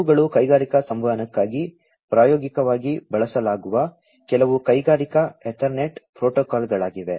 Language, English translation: Kannada, These are some of the Industrial Ethernet protocols that are used in practice in for industrial communication